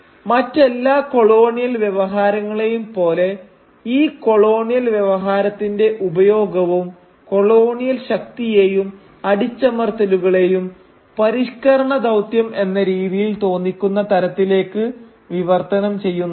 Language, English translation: Malayalam, And like any colonial discourse this use of the colonial discourse also tries to translate the colonial oppression and coercion, to look like a civilising mission